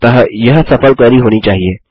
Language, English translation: Hindi, So, that should be a successful query